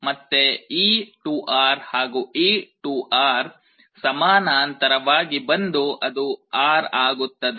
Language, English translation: Kannada, So, again this 2R and this 2R will come in parallel, that will become R